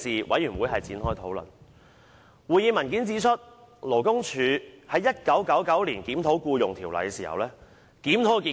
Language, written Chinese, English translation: Cantonese, 我手上的會議文件，載列勞工處在1999年檢討《僱傭條例》的結果。, The meeting paper I have in hand set out the result of the review of the Employment Ordinance by the Labour Department LD in 1999